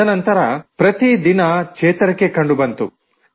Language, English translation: Kannada, After that, there was improvement each day